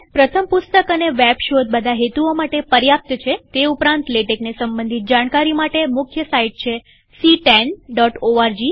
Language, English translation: Gujarati, The first book and a web search is usually sufficient for most purposes, however, the main site for all latex related material is ctan.org